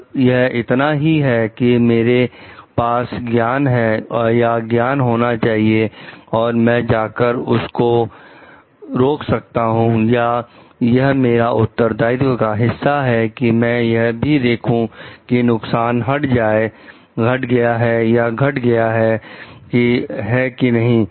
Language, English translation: Hindi, Like is it is it only I should I am having the knowledge and I should go stop over there or is it a part of my responsibility also to see like the hazard gets eliminated or reduced